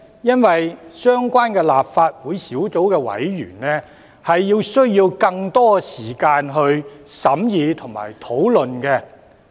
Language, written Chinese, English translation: Cantonese, 因為相關立法會小組委員會需要更多時間審議和討論。, It is because the relevant Subcommittee of the Legislative Council requires more time for deliberations and discussions